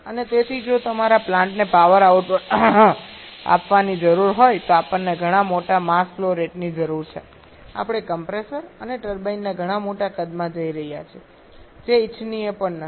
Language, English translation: Gujarati, And therefore if your plant needs to given power output we need much larger mass flow rate we are going to large much larger size of compressor and turbine which is also not desirable